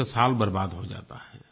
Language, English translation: Hindi, His year goes waste